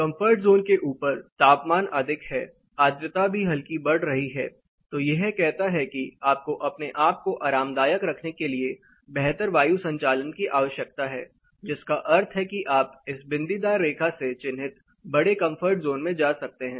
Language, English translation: Hindi, Above the comfort zone the temperature is high, the humidity is also lightly increasing then it says you need better air movement to keep yourself comfortable, which means you can get into a bigger comfort zone marked in the dotted line